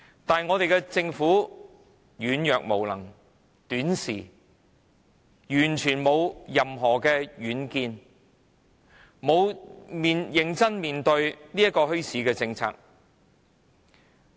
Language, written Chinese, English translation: Cantonese, 但我們的政府軟弱、無能、短視，毫無任何遠見，從沒有認真看待墟市政策。, But our Government being weak incompetent and short - sighted has never treated bazaars seriously